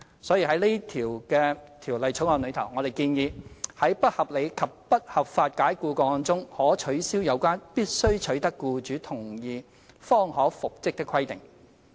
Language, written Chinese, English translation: Cantonese, 所以，在《條例草案》中，我們建議：在不合理及不合法解僱個案中，可取消有關必須取得僱主同意方可復職的規定。, Thus we have proposed in the Bill to abolish the requirement of consent of the employer for reinstatement of the employee in cases of unreasonable and unlawful dismissal